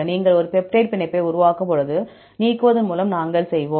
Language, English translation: Tamil, When you make a peptide bond, so, we will by the elimination of